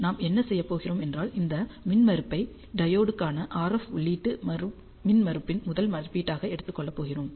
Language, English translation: Tamil, So, what we are going to do is we are going to take this impedance as the first estimate of our RF input impedance for the diode